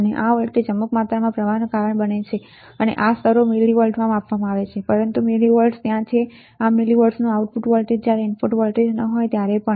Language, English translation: Gujarati, And this voltage causes some amount of current some amount of current and this levels are measured in millivolts right, but this millivolts are there this is output voltage of millivolts is there even when there is no input voltage